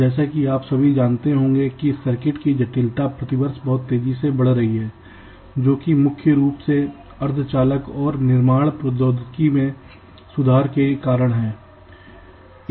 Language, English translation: Hindi, so, as you all must be, knowing that the complexity of circuits have been increasing very rapidly over the years, primarily because of improvements in semi conductor and fabrication technologies